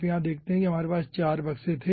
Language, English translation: Hindi, you see, we had 4 boxes